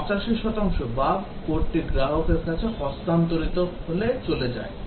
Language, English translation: Bengali, 85 percent of the bugs leave in the code when they are handed over to the customer